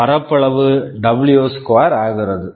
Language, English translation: Tamil, The area becomes W2